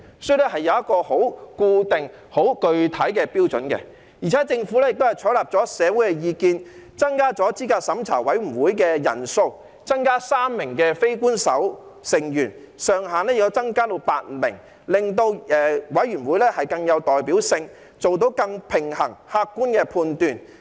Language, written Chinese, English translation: Cantonese, 所以，這是有一個很固定、很具體的標準，而且政府亦採納了社會的意見，增加資審會的人數，加入3名非官守成員，資審會人數上限增至8名，令資審會更有代表性，以作出更平衡及客觀的判斷。, So this is a fixed and solid standard and the Government has taken on board the communitys view and increased the number of members of CERC by adding three non - official members and raising the upper limit of members in CERC to eight . This will enable CERC to have greater representativeness for making more balanced and objective judgments